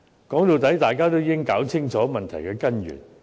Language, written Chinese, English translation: Cantonese, 說到底，大家應弄清楚問題的根源。, After all we should figure out the root of the problem